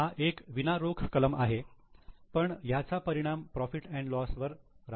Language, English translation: Marathi, It is a non cash item but it will have impact on P&L